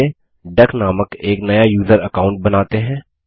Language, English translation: Hindi, So let us create a new user account named duck